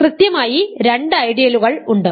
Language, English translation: Malayalam, There are exactly two ideals right